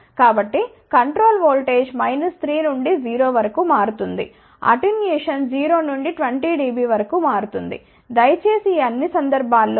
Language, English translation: Telugu, So, control voltage varies from minus 3 to 0 attenuation will vary from 0 to 20 dB please add 3